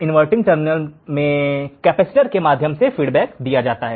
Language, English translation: Hindi, Feedback is given through capacitor to the inverting terminal